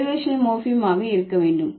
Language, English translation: Tamil, It should be derivational morphem